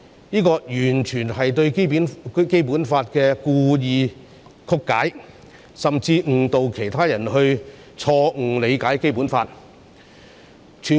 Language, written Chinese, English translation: Cantonese, 這完全是對《基本法》故意曲解，甚至誤導其他人錯誤理解《基本法》。, This is absolutely a deliberate distortion of the Basic Law which will even mislead other people into misinterpreting the Basic Law